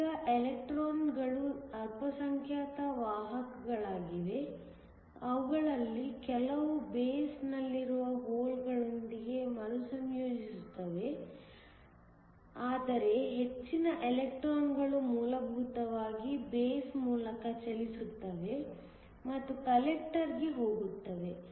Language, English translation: Kannada, These electrons are minority carriers; some of them will recombine with the holes in the base, but most of the electrons essentially move through the base and go to the collector